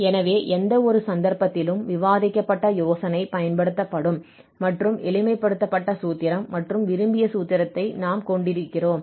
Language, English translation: Tamil, So, in either case, the idea which is discussed here will be applicable, will be used and we have a simplified formulation and the desired formulation